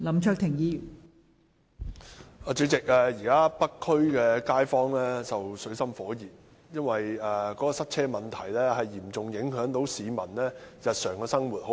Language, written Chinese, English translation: Cantonese, 代理主席，現時北區街坊正生活在水深火熱中，因為塞車問題嚴重影響該區市民的日常生活。, Deputy President residents in the North District are now in great distress as their daily lives are adversely affected by traffic congestion